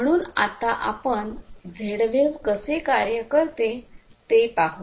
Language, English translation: Marathi, So, let us look at how Z wave works